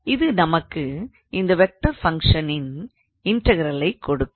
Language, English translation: Tamil, So, that can be one possible vector function